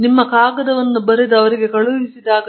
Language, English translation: Kannada, When you have to write your paper up and send it